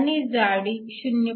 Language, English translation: Marathi, Now, if you have a thickness of 0